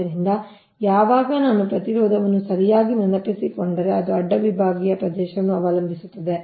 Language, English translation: Kannada, so this, when, if i, if i recall correctly, the resistance, of course it depends on the cross sectional area